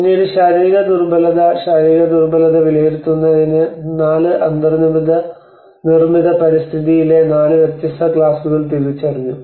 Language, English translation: Malayalam, Then the physical vulnerability so there is a for assessing the physical vulnerability 4 different classes of the built environment or identified